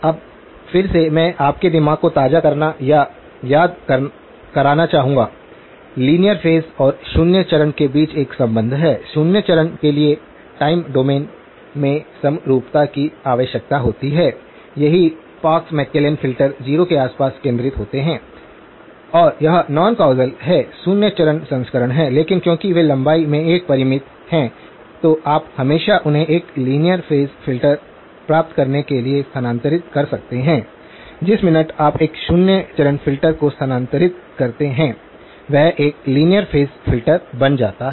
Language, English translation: Hindi, Now again, I would like to refresh or recall to your mind, there is a relationship between linear phase and zero phase, zero phase requires symmetry in the time domain right, the Parks McClellan filters are centred around 0 and that are non causal that is the zero phase version but because they are a finite in length you can always shift them to get a linear phase filter, the minute you shift a zero phase filter it will become a linear phase filter